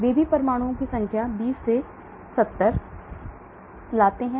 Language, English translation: Hindi, They also bring number of atoms 20 to 70